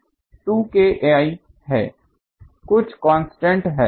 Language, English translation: Hindi, This M is 2 K I, some constant